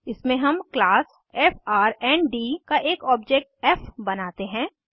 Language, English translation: Hindi, In this we create an object of class frnd as f